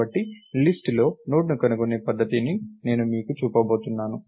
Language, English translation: Telugu, So, I am going to show you a method for finding a Node in a list